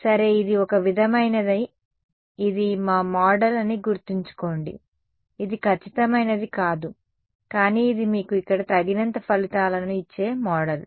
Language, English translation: Telugu, Well this is the sort of a this is our model remember it is not going to it is not exact, but it is a model that gives you close enough results over here